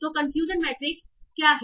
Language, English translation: Hindi, So what is a confusion matrix